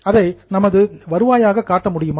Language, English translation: Tamil, Can we show it in our revenue